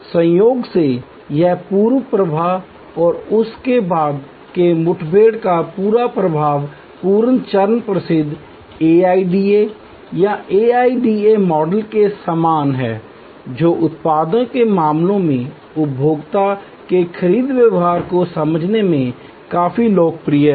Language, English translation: Hindi, Incidentally, this whole flow of pre encounter and post encounter of that, the pre stage is similar to the famous AIDA or AIDA model, quite popular in understanding consumer's buying behavior in case of products